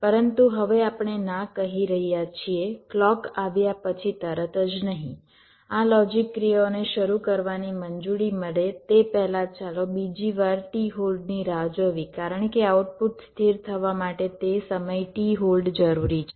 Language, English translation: Gujarati, but now we are saying no, not immediately after the clock comes, let us wait for another time t hold before this logic operations is allowed to start